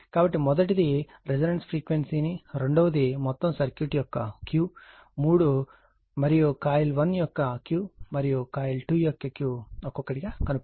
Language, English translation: Telugu, So, determine the frequency of the resonance that is first one; second one, Q of the whole circuit; and 3 Q of coil 1 and Q of coil 2 individually